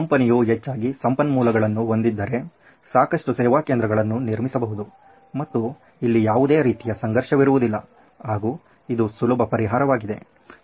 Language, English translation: Kannada, If he had the resources and he built lots of service centre there is no conflict it’s an easy solution for him